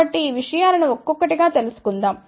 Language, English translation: Telugu, So, let us look at these things now